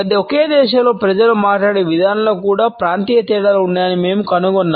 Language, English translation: Telugu, In the same way we find that the regional differences also exist in the way people speak within the same country